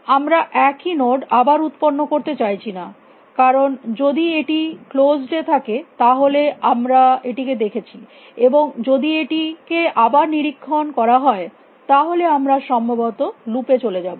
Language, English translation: Bengali, We do not want to generate the same node again because if it is in closed we have already seen it, and if it inspected again we are likely go into loop